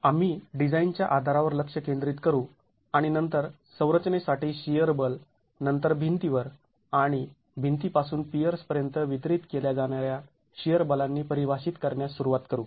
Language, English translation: Marathi, We will focus on the basis for design and then start defining the shear forces for the structure, the shear forces that are then distributed to the walls and from the walls to the piers